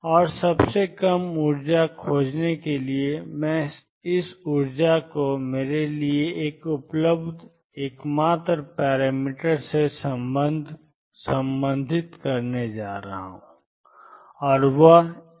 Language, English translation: Hindi, And to find the lowest energy I minimize this energy with respect to the only parameter that is available to me and that is a